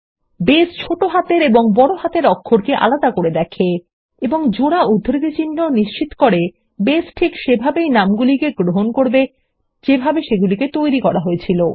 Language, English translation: Bengali, We know that Base is case sensitive and the double quotes ensure that Base will accept the names as we created